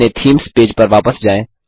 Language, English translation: Hindi, Lets go back to our Themes page